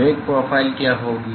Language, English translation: Hindi, What will be the velocity profile